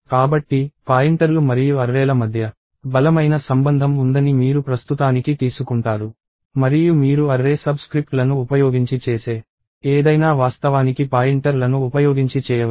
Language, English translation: Telugu, So, you take it for now that there is a strong relationship between pointers and arrays and anything that you do using array subscripts can actually be done using pointers